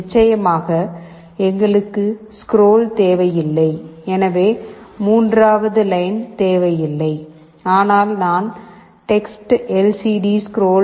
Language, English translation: Tamil, Of course, we do not need scroll, so the third one is not required, but I have also used TextLCDScroll